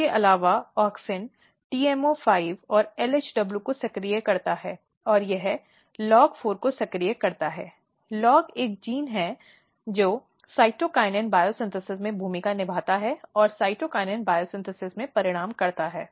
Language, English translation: Hindi, Another thing what happens that this auxin activates TMO5 and LHW and this activates LOG4; LOG basically a gene which play a role in cytokinin biosynthesis and which results in cytokinin biosynthesis